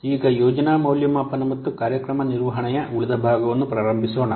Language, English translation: Kannada, So, now let's start the remaining part of the project evaluation and program management